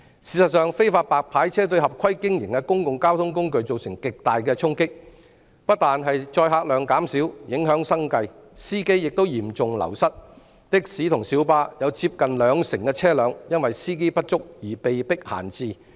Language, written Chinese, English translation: Cantonese, 事實上，非法"白牌車"對合規經營的公共交通工具造成極大衝擊，不但載客量減少，影響生計，司機亦嚴重流失，的士及小巴有接近兩成車輛因為司機不足而被迫閒置。, As a matter of fact illegal white licence cars service has brought a significant impact on those public transport operators whose operations are in compliance with the rules . Due to decrease in passenger volume the drivers livelihood is affected leading to a serious wastage of drivers . Nearly 20 % of taxis and PLBs are forced to be left idle due to lack of drivers